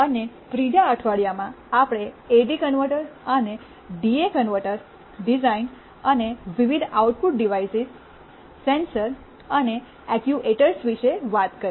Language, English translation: Gujarati, And in the 3rd week, we talked about the A/D converter and D/A converter designs and various output devices, sensors and actuators